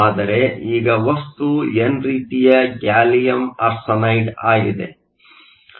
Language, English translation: Kannada, Now, the material is gallium arsenide